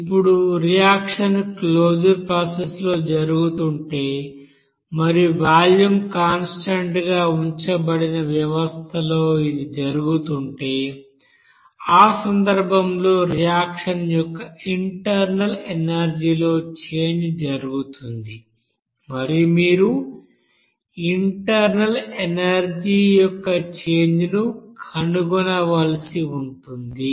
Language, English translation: Telugu, Now suppose if reaction is going on in closed process and the reaction is taking place in a system where the volume will be kept constant and in that case the change in the internal energy of the reaction will happen and you have to find out that change of internal energy based on that reaction